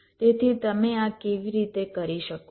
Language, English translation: Gujarati, so how you can do this